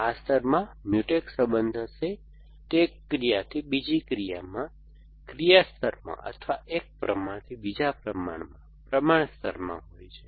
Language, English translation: Gujarati, This layer will have Mutex relation, they are from one action to another, in an action layer or from one proportion to another in a, in a proportion layer